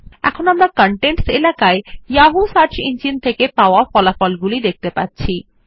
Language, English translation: Bengali, This time we see that the results in the Contents area are from the Yahoo search engine